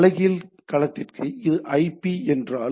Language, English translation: Tamil, For inverse domain if it is IP to this